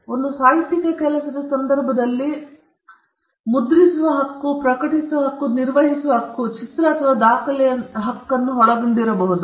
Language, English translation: Kannada, In the case of a literary work, the right may involve the right to print, the right to publish, the right to perform, film or record the subject matter